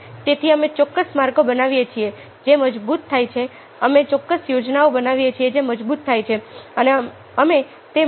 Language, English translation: Gujarati, so we create certain paths which are strengthened, we create certain schemes which are strengthened and we work within those